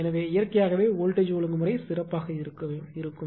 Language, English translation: Tamil, So, naturally voltage regulation will be better